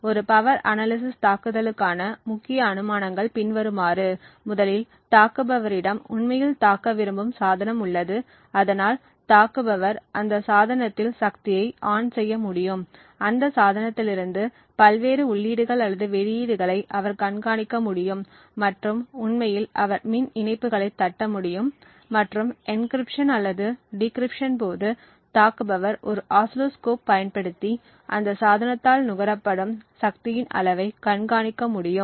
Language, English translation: Tamil, Thus, the major assumptions for a power analysis attack are the following, first the attacker has the device that he wants to actually attack so the attacker can actually power ON this device, he can monitor the various inputs or the outputs from that device and actually he is able to tap into the power lines and during the process of encryption and decryption the attacker should be able to monitor the amount of power consumed by that device using an oscilloscope